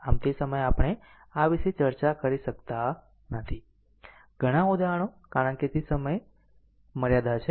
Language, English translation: Gujarati, So, at that time we cannot discuss so, many example because it is a time bounding